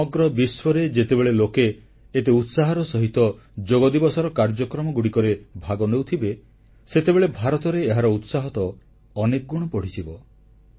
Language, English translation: Odia, If people from the entire world ardently participated in programmes on Yoga Day, why should India not feel elated many times over